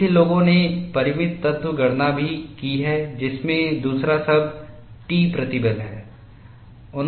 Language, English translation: Hindi, See, people will have also done finite element calculation, including the second term that is t stress